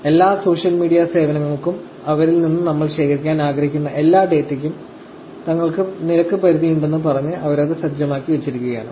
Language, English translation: Malayalam, They have set it up, you know, by saying that, they have a rate limits for every social media service, and every piece of data that we want to collect from them